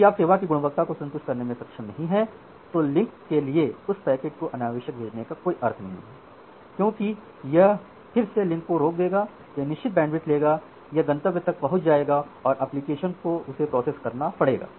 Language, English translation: Hindi, If you are not able to satisfy the quality of service then there is no meaning to send that packet unnecessary to the link, because it will again clog the link it will take certain bandwidth, it will reach at the final destination, the application again need to process that packet